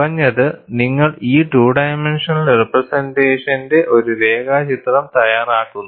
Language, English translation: Malayalam, At least, you make a neat sketch of this two dimensional representation